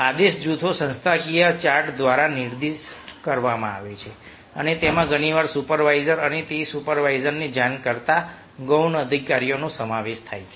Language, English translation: Gujarati, command groups are specified by the organizational chart and often consist of a supervisor and the subordinates that report to that supervisor